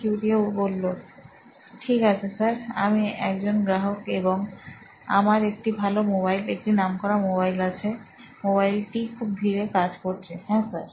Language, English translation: Bengali, okay, yes sir, I am a customer and I have a good mobile, a reputed mobile and yes sir, the mobile is running very slow, yes sir, yes